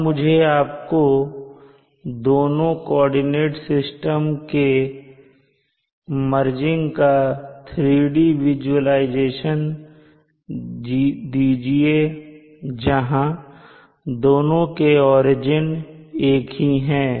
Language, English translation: Hindi, Let me give you a 3D visualization of merging the two coordinates systems such that they both have the same origins